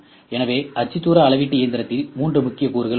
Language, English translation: Tamil, So, coordinate measuring machine include three major components